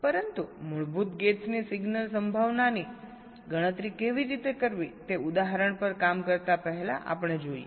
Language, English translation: Gujarati, but before working out the example, we look at how to compute the signal probability of the basic gates